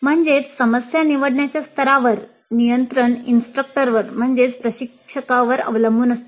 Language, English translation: Marathi, That means at the level of choosing the problems the control rests with the instructor